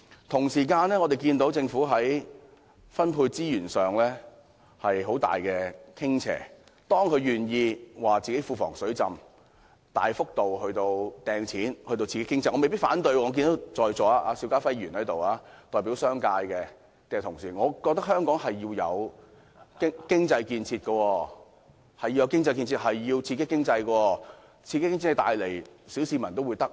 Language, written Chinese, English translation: Cantonese, 同時，我們看到政府在分配資源上有很大傾斜，當它願意指出庫房"水浸"，大幅度"派錢"至傾斜時，我對此未必反對，我看到代表商界的邵家輝議員在席，我也認為香港需要經濟建設、刺激經濟，令小市民得益。, We can also observe that there is a very big bias in the Governments distribution of resources . Well if the bias is towards the handing out of big cash to the people due to the flooding of the Treasury I may not say no Well Mr SHIU Ka - fai who represents he business sector is here now . Yes I also think that Hong Kong needs economic construction and must boost its economy so as to benefit the common masses